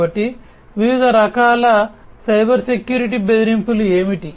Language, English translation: Telugu, So, what are the different types of Cybersecurity threats